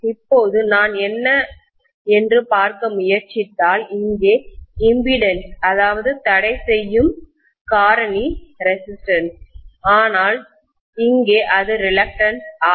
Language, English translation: Tamil, Now if I try to look at what is the impeding factor here that is resistance whereas here it is going to be reluctance, right